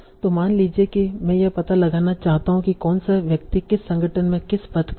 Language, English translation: Hindi, So suppose I want to find out which person holds what position in what organization